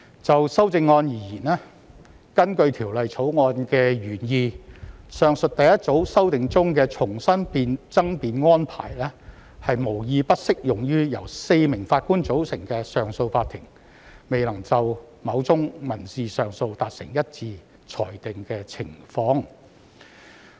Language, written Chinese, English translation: Cantonese, 就修正案而言，它符合《條例草案》的原意，確保上述第一組修訂中所指的重新爭辯安排適用於由4名上訴法庭法官組成的上訴法庭，未能就某宗民事上訴案件達成一致裁定的情況。, As for the Committee stage amendment it ensures that the re - argument arrangement referred to in the first group of amendments will apply to the situation where a four - Judge bench of CA cannot reach a unanimous decision on a civil appeal which is in line with the original intent of the Bill